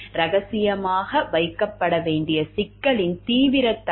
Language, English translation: Tamil, Seriousness of an issue which needs to be kept confidential